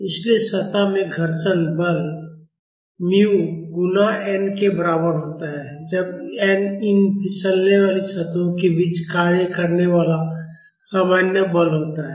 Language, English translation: Hindi, So, the frictional force in the surface is equal to mu(µ) multiplied by N, when N is the normal force acting between these sliding surfaces